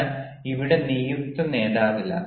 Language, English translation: Malayalam, but here there is no designated leader